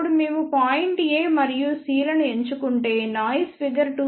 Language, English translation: Telugu, Now, if we choose point A and C you can see that the noise figure will be about 2